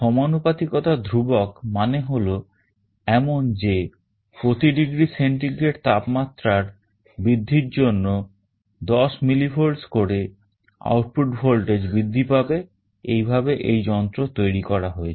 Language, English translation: Bengali, The constant of proportionality is such that there will be an increase in 10 millivolts in the output voltage for every degree centigrade rise in the temperature, this is how this device has been built